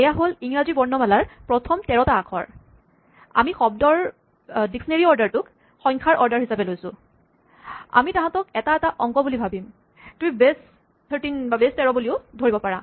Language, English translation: Assamese, So, these are the first thirteen letters of the alphabet and we treat the dictionary order of words as the ordering of numbers, we think of them as digits if you want to think of it is base thirteen